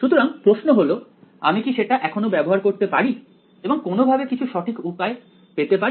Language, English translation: Bengali, So, the question is can I still use that somehow and get some accurate way of calculating it ok